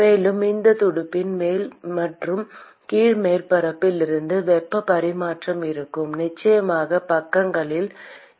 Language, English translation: Tamil, And there would be heat transfer from the top and the bottom surface of this fin and of course in the sides also